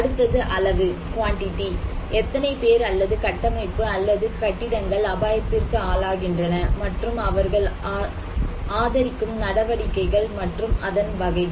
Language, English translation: Tamil, Another one is the quantity; how many people or structure or buildings are exposed to the hazard, another one is the amount and type of activities they support